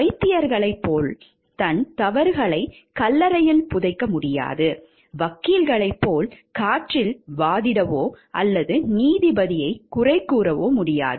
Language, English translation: Tamil, He cannot bury his mistakes in the grave like the doctors, he cannot argue into thin air or blame the judge like the lawyers